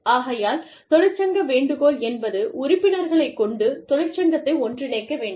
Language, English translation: Tamil, So, union solicitation means, getting members to come and join the union